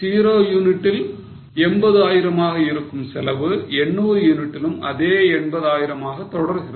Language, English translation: Tamil, At 0, the cost is something like 80,000 and even at 800 it remains at 80,000